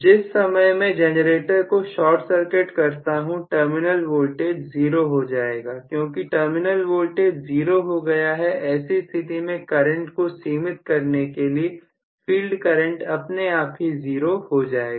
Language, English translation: Hindi, The moment I short circuit the generator the terminal voltage will become 0, because the terminal voltage becomes 0, I am going to have very clearly the current limited by the fact that the field current itself have now becomes 0